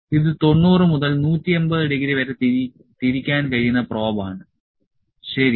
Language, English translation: Malayalam, This is the probe; this is the probe we can rotate it to 90 180 degree, ok